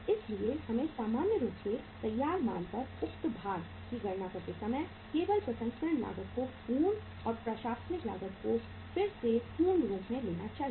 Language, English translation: Hindi, So we should normally while calculating the say weight at the finished goods we should take only the processing cost as full and the administrative cost again as full